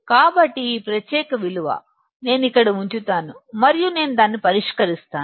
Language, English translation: Telugu, So, this particular value, I will put it here and I will solve it